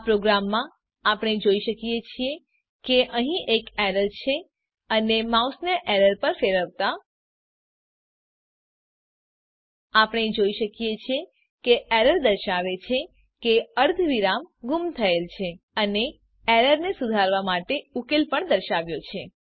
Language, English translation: Gujarati, In this program we can see there is an error and mouse hover on the error We can see that the error says semi colon missing and the solution to resolve the error is also shown